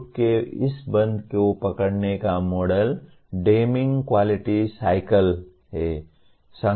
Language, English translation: Hindi, The model to capture this closure of the loop is the Deming’s Quality Cycle